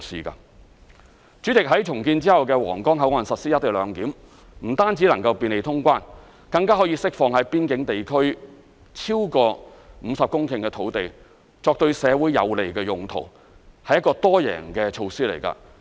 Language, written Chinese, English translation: Cantonese, 代理主席，在重建後的皇崗口岸實施"一地兩檢"，不但能夠便利通關，更可釋放在邊境地區超過20公頃的土地，作對社會有利的用途，是一個多贏的措施。, Deputy President the implementation of the co - location arrangement at the redeveloped Huanggang Port will not only bring convenience in customs clearance we can also free up over 20 hectares of land in the boundary area for use which is beneficial to our society . It is a multi - win situation